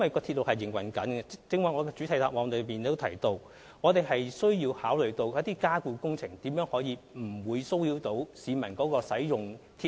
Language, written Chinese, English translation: Cantonese, 正如我剛才在主體答覆提到，由於鐵路在營運中，我們需要考慮加固工程不會騷擾市民使用鐵路。, As I have mentioned in the main reply since the railway line is in operation we will need to consider how to minimize the disturbances which the underpinning works may cause to passengers